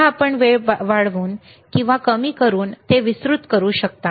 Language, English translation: Marathi, Again, you can widen it by increasing the time